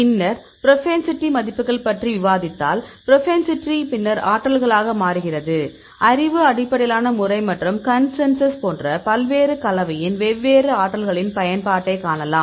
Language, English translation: Tamil, Then we discussed about the propensity values, we calculate the propensity then convert into potentials; knowledge based method and the consensus, you can see the use of various combination different potentials